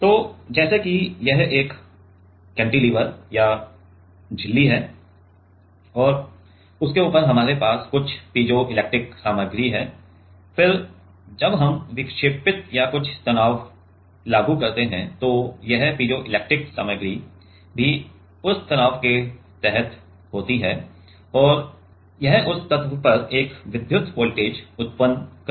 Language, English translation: Hindi, So, let us say let us say this is a cantilever or membrane and on top of that we have some piezoelectric material, then as we deflect or apply some stress then this piezoelectric material is also under that stress and this will generate an electric voltage at that at that element